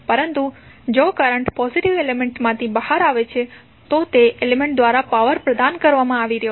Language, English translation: Gujarati, But, if the current is coming out of the positive element the power is being supplied by that element